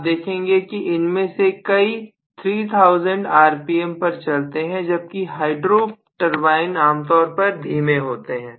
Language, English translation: Hindi, Invariably you will see that many of them run at 3000 rpm whereas hydro turbines are generally slow